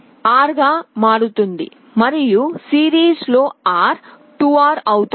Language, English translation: Telugu, R and R in series becomes 2R